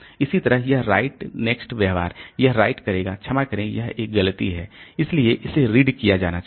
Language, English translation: Hindi, Similarly this right next behavior so it will write the, it will read the sorry it's a mistake so it will be read